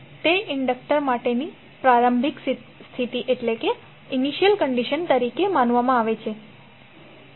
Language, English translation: Gujarati, So that is considered to be as the initial condition for that inductor 1